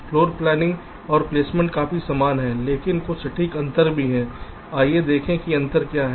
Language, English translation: Hindi, floor planning and placement are quite similar, but there are some precise differences